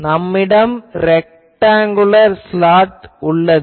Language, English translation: Tamil, It is a rectangular aperture